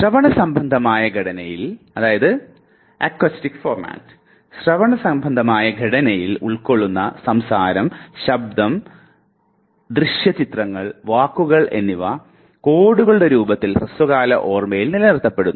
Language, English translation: Malayalam, In acoustic format say speech, sound, visual images, words they constitute, the code that is retained by the short term memory